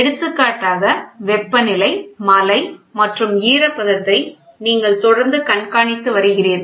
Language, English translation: Tamil, You keep for example, you keep on monitoring the temperature, you keep on monitoring the rainfall, you keep on monitoring the humidity